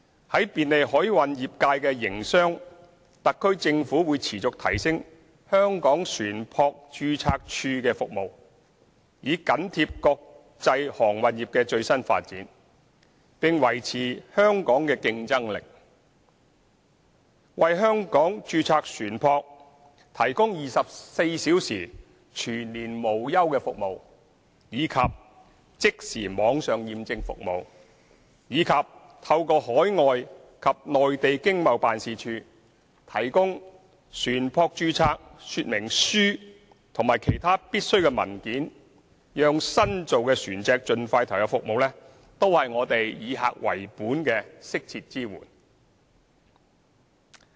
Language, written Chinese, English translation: Cantonese, 在便利海運業界營商方面，特區政府會持續提升香港船舶註冊處的服務，以緊貼國際航運業的最新發展，並維持香港的競爭力，為香港註冊船舶，提供24小時全年無休的服務、即時網上認證服務，以及透過海外和內地經貿辦事處提供船舶說明書及其他必需的文件，讓新造船隻盡快投入服務，都是我們以客為本的適切支援。, In facilitating the business development of the maritime industry the SAR Government will continue to enhance the services of the Hong Kong Shipping Register so as to keep abreast of the latest developments in the international maritime industry and maintain Hong Kongs competitiveness . We will provide adequate customer - based services such as round - the - clock services to Hong Kong registered ships instant online certification services as well as the provision of vessel descriptions and other necessary documents through overseas and Mainland economic and trade offices so that new vessels can be commissioned as soon as possible